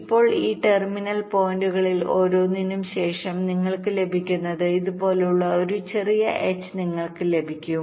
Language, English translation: Malayalam, now what you can have after that, from each of these terminal points you can have a smaller h like this, so you get another four points from each of them, right